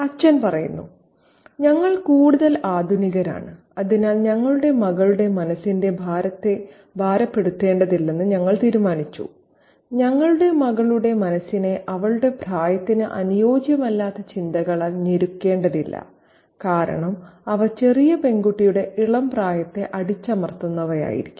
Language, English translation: Malayalam, The father says that we are more modern and therefore we decided not to load our daughter's mind, oppress our daughter's mind with precautious thoughts, thoughts which are not proper for her age and because they would be oppressive to the tender age of the little girl